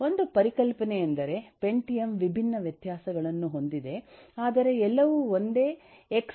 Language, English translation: Kannada, One concept is: pentium has different variations, but all of them share the same x86 architecture